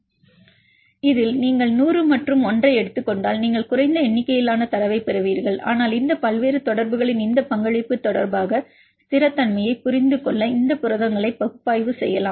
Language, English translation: Tamil, In this case if you take the hundred and ones you will get a less number of data, but that you can do for analyzing these a proteins to understand the stability with respect to this contribution of these various interactions